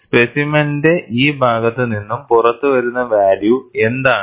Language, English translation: Malayalam, What is the value it is coming out on this side of the specimen